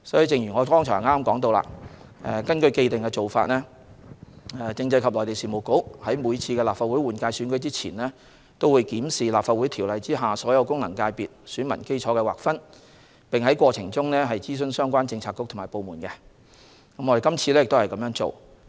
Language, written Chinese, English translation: Cantonese, 正如我剛才所說，按既定做法，政制及內地事務局在每次立法會換屆選舉前都會檢視《立法會條例》下所有功能界別選民基礎的劃分，並在過程中諮詢相關政策局/部門，這次亦不例外。, As I said just now following the established practice the Constitutional and Mainland Affairs Bureau would before each Legislative Council general election conduct a review of the delineation of the electorate of the FCs under LCO in consultation with the relevant bureauxdepartments . This time was no different